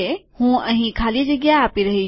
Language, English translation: Gujarati, I am giving a space here